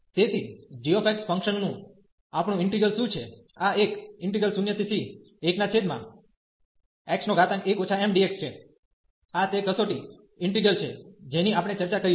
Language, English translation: Gujarati, So, what is our integral of g x function, this is a 0 to c and 1 over x power 1 minus m and d x, this is the test integral we have discussed